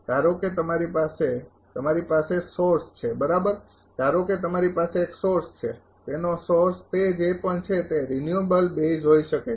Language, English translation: Gujarati, Suppose you have a you have a source right suppose, you have a source its source may be renewable base whatever it is